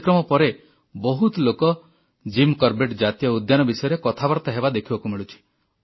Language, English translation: Odia, After the broadcast of this show, a large number of people have been discussing about Jim Corbett National Park